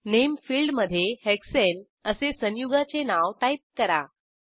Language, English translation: Marathi, In the Name field, enter the name of the compound as Hexane